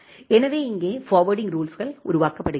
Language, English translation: Tamil, So, here the forwarding rules are generated